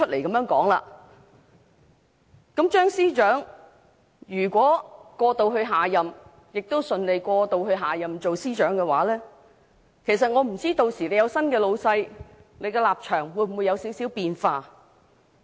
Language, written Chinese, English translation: Cantonese, 如果張司長能過渡至下任政府，亦順利在下任政府擔任司長一職，我不知屆時有了新的上司後，他的立場會否有少許變化。, If Matthew CHEUNG still acts as the Chief Secretary in the next - term Government I do not know if his stance will change a little with a new boss